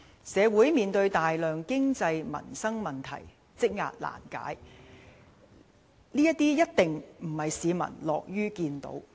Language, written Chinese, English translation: Cantonese, 社會面對大量經濟民生問題，積壓難解，這些一定並非市民所樂見的。, There is a large backlog of unresolved economic and livelihood issues in the community which is definitely not what the public would be glad to see